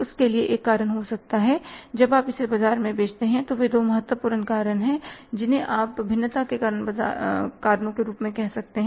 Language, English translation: Hindi, There might be a reason that say when you sell it in the market, they are the two important you can call it as reasons for the variances